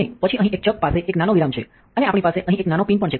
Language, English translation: Gujarati, And then a chuck, here has a small recess and we also have a small pin down here